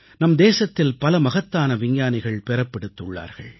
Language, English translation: Tamil, This land has given birth to many a great scientist